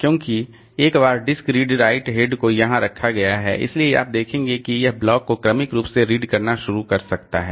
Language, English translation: Hindi, Because once the disk redried head has been placed here, so you see that it can start reading the blocks sequentially